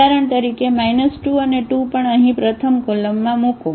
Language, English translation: Gujarati, So, we can place 8 and 2 in the second column